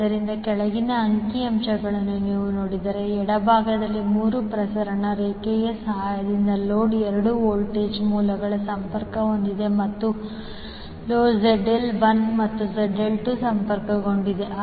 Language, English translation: Kannada, So, if you see the figure below, you will see on the left there are 2 voltage sources connected to the load with the help of 3 transmission lines and load Zl1 and Zl2 are connected